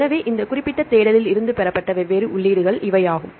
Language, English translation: Tamil, So, these are the different entries right obtained from this particular search